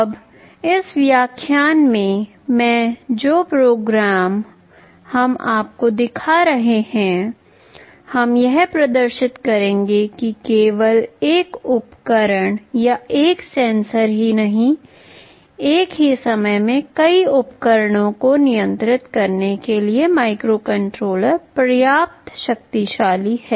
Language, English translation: Hindi, Now in the experiment that we shall be showing you in this lecture, we shall demonstrate that not only one device or one sensor, the microcontroller is powerful enough to control multiple devices at the same time